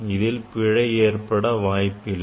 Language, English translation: Tamil, it will not contribute in the error